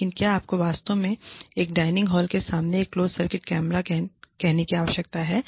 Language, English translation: Hindi, But, do you really need to have a closed circuit camera, say, in front of a dining hall